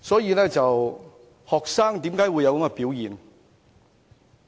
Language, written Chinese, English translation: Cantonese, 為何學生會有這種想法？, Why would a student have such thoughts?